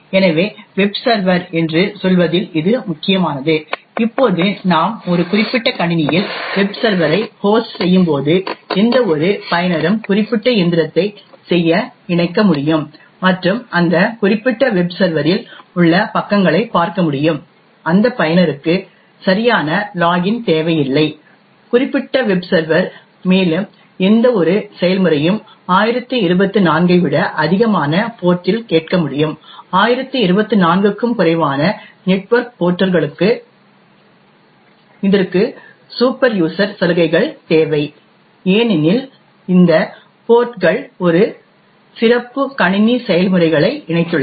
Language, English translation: Tamil, So this is important with respect to say Webservers, now when we host a web server on a particular machine, any user could actually connect to do particular machine and view the pages on that particular web server, that user does not require to have a valid login on that particular web server, further any process can listen to ports which are greater than 1024, for network ports which are less than 1024, it requires superuser privileges because these ports have linked a special system processes